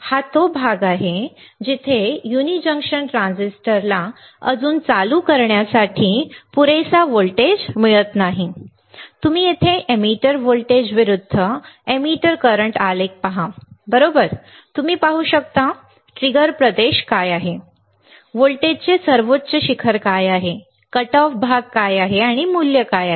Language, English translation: Marathi, This is the region where the uni junction transistor does not yet receive enough voltage to turn on, all right, you see here the emitter voltage versus the emitter current graph, right and you can see; what is a trigger region; what is the highest peak of voltage; what is a cutoff region and what is a value